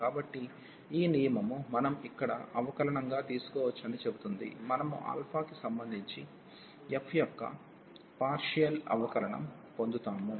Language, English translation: Telugu, So, this rule says that we can take the derivative inside here; we will get partial derivative of f with respect to alpha